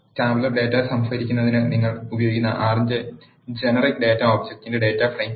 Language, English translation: Malayalam, Data frame are generic data objects of R which you are used to store the tabular data